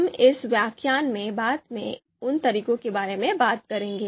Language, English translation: Hindi, So, we are going to talk about those methods later in the later in this lecture